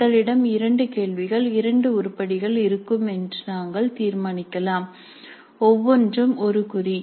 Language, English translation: Tamil, So we might decide that we would have two bits, two questions, two items, one mark each